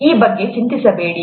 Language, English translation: Kannada, Don’t worry about this